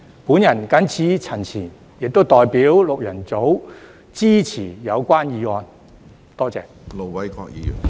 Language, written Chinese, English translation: Cantonese, 我謹此陳辭，亦代表六人組支持議案。, With these remarks I also support the motion on behalf of the six - member group